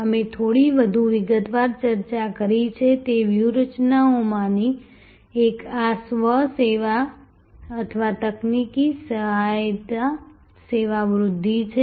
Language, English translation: Gujarati, One of the strategies that we discussed a little bit more in detail is this self service or technology assisted service enhancement